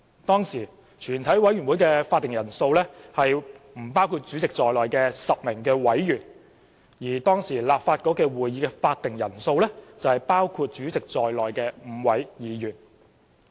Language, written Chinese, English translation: Cantonese, 當時，全委會的會議法定人數為不包括主席在內的10位委員，而當時的立法局會議法定人數為包括主席在內的5位議員。, The then quorum of a committee of the whole Council was 10 members excluding the Chairman and the then quorum of the meeting of the Legislative Council was 5 Members including the President